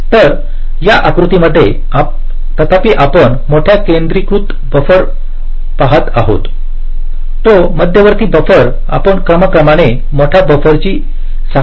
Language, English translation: Marathi, so although we are seeing big centralized buffer, that centralized buffer we are showing as a chain of progressively larger buffer